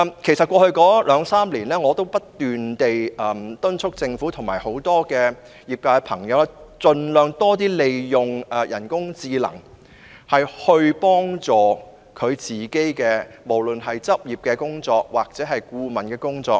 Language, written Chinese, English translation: Cantonese, 其實，在過去兩三年，我已不斷敦促政府及業界朋友盡量利用人工智能，協助處理執業或顧問方面的工作。, In fact over the past two or three years I have repeatedly urged the Government and members of the industry to make the best use of artificial intelligence AI to help with their professional practice or consultancy work